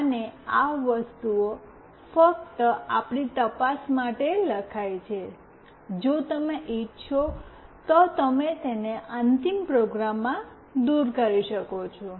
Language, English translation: Gujarati, And these things are only written for our checks, you can remove it in the final program if you want